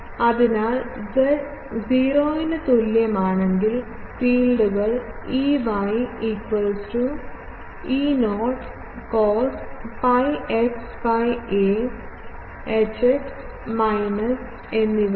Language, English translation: Malayalam, So, at z is equal to 0 the fields are Ey is E not cos pi x by a and Hx is minus